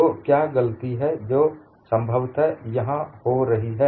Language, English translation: Hindi, So, what is a mistake that is possibly happening here